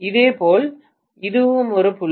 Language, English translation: Tamil, Similarly, this is also a dot